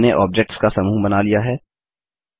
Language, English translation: Hindi, We have created groups of objects